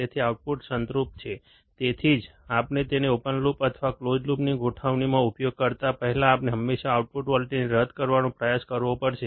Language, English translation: Gujarati, So, output will be saturated, that is why before we use it in open loop or even in a closed loop configuration we have to always try to null the output voltage